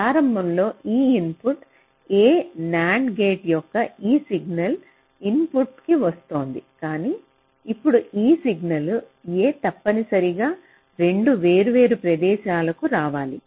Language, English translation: Telugu, initially this input a was coming to this single input of nand gate, but now this input a must come to two different places